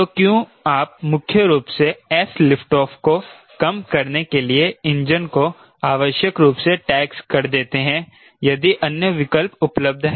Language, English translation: Hindi, so why do you unnecessary tax the engine, primarily for reducing s lift off if there are other options available, right